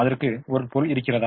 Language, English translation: Tamil, does it have a meaning